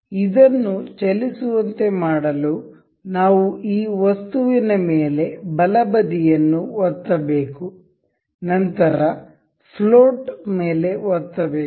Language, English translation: Kannada, To keep it to make this move we have to right click this the object, we earned we can click on float